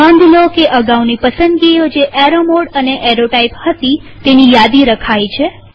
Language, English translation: Gujarati, Notice that the previous selections of arrow mode and arrow type have been remembered